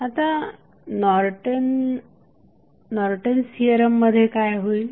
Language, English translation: Marathi, So, what does Norton's Theorem means